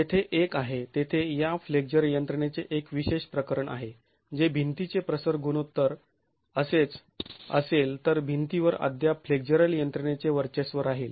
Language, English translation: Marathi, There is one, there is a special case of this flexural mechanism which is if the aspect ratio of the wall and the level of, if the aspect ratio of the wall is such that the wall is still going to be dominated by flexural mechanisms